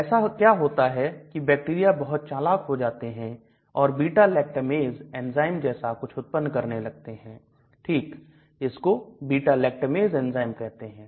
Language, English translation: Hindi, What happens is these bacteria become very smart and they start producing something called beta lactamase enzyme okay that is called beta lactamase enzyme